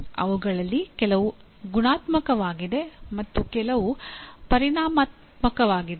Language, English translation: Kannada, Some of them are qualitative or some are quantitative